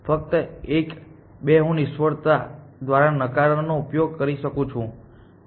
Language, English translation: Gujarati, Only one, two can I use negation by failure, no